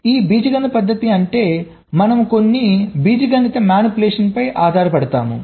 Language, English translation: Telugu, this algebraic method means we depend on some algebraic manipulation